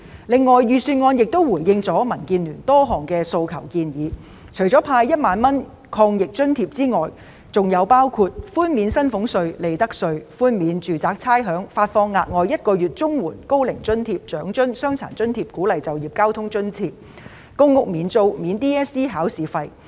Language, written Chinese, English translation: Cantonese, 此外，預算案亦回應了民建聯提出的多項訴求和建議，除了派發1萬元抗疫津貼外，還寬免薪俸稅、利得稅和差餉；發放額外1個月綜援、高齡津貼、長者生活津貼、傷殘津貼及鼓勵就業交通津貼；向公屋住戶提供免租，以及豁免 DSE 考試費。, The Budget has also responded to various appeals and suggestions made by DAB . Apart from providing 10,000 anti - epidemic allowance other measures include reducing salaries tax and profits tax and waiving rates; providing an extra one month Comprehensive Social Security Assistance CSSA payment Old Age Allowance Old Age Living Allowance Disability Allowance and Work Incentive Transport Subsidy; paying one months rent for public rental housing tenants and paying the examination fees for school candidates sitting for the Hong Kong Diploma of Secondary Education Examination